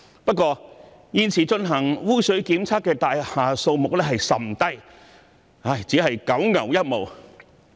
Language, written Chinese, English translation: Cantonese, 不過，現時進行污水檢測的大廈數目甚少，只是九牛一毛。, That said only a small number of buildings are currently subject to sewage testing and they are just a drop in the bucket